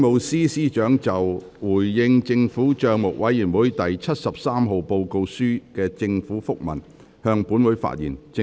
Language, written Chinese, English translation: Cantonese, 政務司司長就"回應政府帳目委員會第七十三號報告書的政府覆文"向本會發言。, The Chief Secretary for Administration will address the Council on The Government Minute in response to the Report of the Public Accounts Committee No